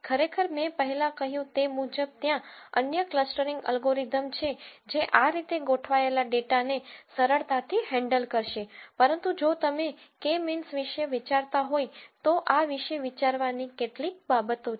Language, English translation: Gujarati, Of course, as I said before there are other clustering algorithms which will quite easily handle data that is organized like this but if you were thinking about K means then these are some of the things to think about